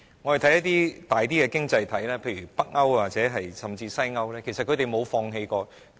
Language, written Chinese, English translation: Cantonese, 大家看看較大的經濟體，例如北歐甚至西歐，其實他們從沒放棄工業。, Let us look at the bigger economies such as Northern Europe and even Western Europe . As a matter of fact they have never given up their industries